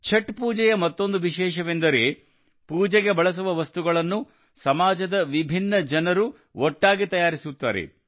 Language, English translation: Kannada, Another special thing about Chhath Puja is that the items used for worship are prepared by myriad people of the society together